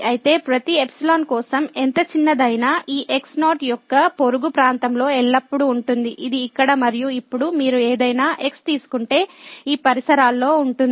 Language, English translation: Telugu, So, for every epsilon, however small, there always exist in neighborhood of this naught which is the case here and now, if you take any in this neighborhood